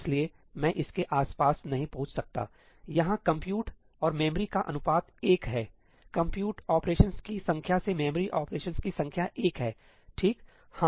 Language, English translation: Hindi, So, I cannot get around this, this compute to memory ratio is one, the number of compute operations to number of memory operations is one